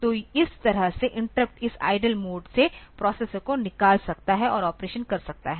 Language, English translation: Hindi, So, this way interrupt can take the processor out of this idle mode and do the operation